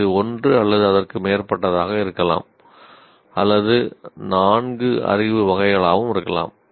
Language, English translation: Tamil, It can be one or more of the four knowledge categories